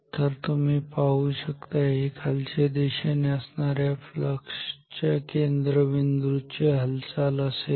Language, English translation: Marathi, So, you see this is the motion so this is the center of downwards flux